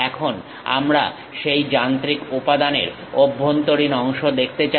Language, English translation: Bengali, Now, we would like to see the internal portion of that machine element